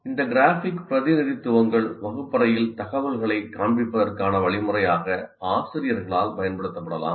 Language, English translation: Tamil, These graphic representations can be used by teachers as a means to display information in the classroom